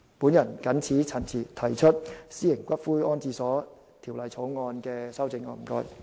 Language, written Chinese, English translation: Cantonese, 我謹此陳辭，就《私營骨灰安置所條例草案》提出修正案。, With these remarks I am proposing amendments to the Private Columbaria Bill